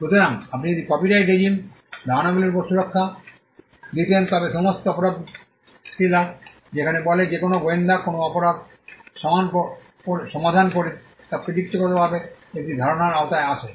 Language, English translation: Bengali, So, you could if copyright regime were to grant protection on ideas, then all crime thrillers where say a detective solves a crime would technically fall within the category of covered by the same idea